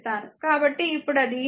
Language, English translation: Telugu, So, put here i 2 is equal to 2 i 3